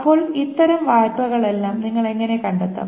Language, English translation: Malayalam, Now, how do you find out all such loans